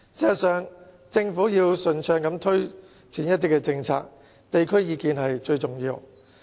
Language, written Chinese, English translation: Cantonese, 事實上，如果政府要順暢地推展政策，地區意見是最重要的。, In fact if the Government wishes to see the smooth implementation of its policies what matters the most is local opinions